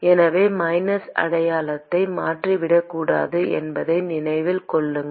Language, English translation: Tamil, So keep in mind that you should not forget the minus sign